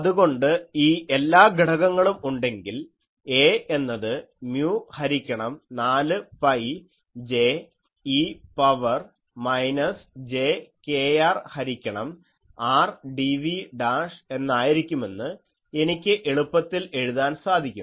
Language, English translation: Malayalam, So, if all these components are present; I can easily write that A will be mu by 4 pi J e to the power minus jkr by r dv dash